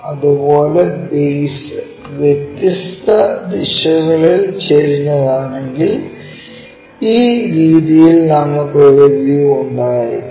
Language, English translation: Malayalam, Similarly, if it is if the base is inclined at different directions, we will have a view in this way